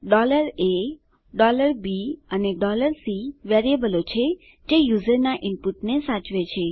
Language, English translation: Gujarati, $a, $b and $c are variables that store user input